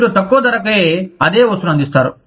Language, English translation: Telugu, You offer the same thing, for a lower price